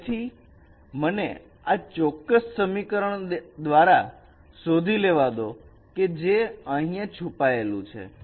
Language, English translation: Gujarati, So let me find out this particular equation which is hidden by this particular hidden here